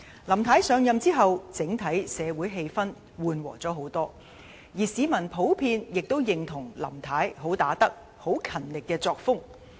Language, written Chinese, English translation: Cantonese, 林太上任之後，總體社會氣氛緩和了不少，而市民普遍亦認同林太"很打得"、很勤力的作風。, Since Mrs LAM assumed office the overall social atmosphere has eased a lot and the public generally agree that Mrs LAM is a good fighter and works very diligently